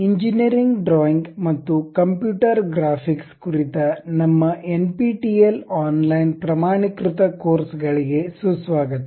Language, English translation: Kannada, ) Hello everyone, welcome to our NPTEL online certification courses on Engineering Drawing and Computer Graphics